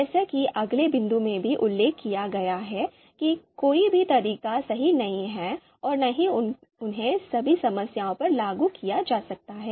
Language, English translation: Hindi, As mentioned in the next point as well that none of the methods are perfect nor can they be applied to all problems